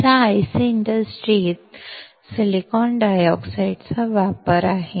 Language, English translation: Marathi, So, this is the application of silicon dioxide in an IC industry